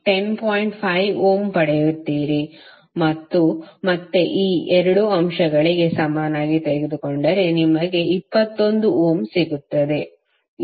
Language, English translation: Kannada, 5 ohm and again if you take the equivalent of these 2 elements, you will get 21 ohm